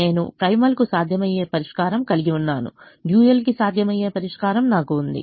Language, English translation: Telugu, i have a feasible solution to the primal, i have a feasible solution to the dual